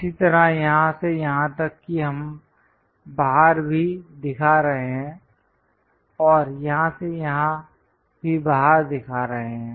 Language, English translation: Hindi, Similarly, from here to here also we are showing outside and here to here also outside